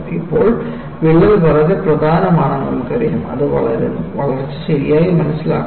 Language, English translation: Malayalam, Now, we know a crack is very important, it grows; its growth has to be understood properly